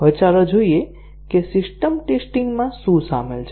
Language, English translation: Gujarati, Now, let us see what is involved in system testing